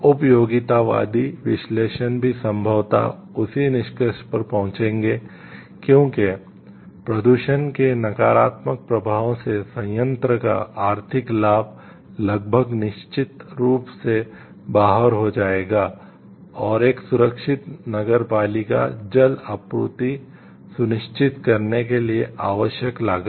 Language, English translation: Hindi, Utilitarian analysis will also probably come to the same conclusion, since the economic benefit of the plant would almost certainly be outwitted by the negative effects of the pollution and the course required to ensure our safe municipal water supply